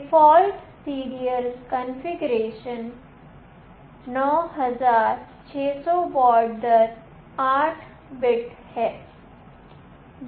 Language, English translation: Hindi, The default serial configuration is 9600 baud rate an 8 bits